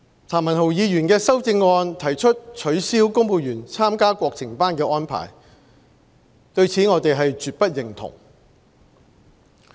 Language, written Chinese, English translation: Cantonese, 譚文豪議員的修正案提出取消公務員參加國情班的安排，對此我們絕不認同。, We certainly cannot agree with Mr Jeremy TAMs amendment which proposes to abolish the arrangement for civil servants to attend national affairs classes